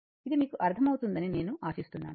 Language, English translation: Telugu, I hope this is understandable to you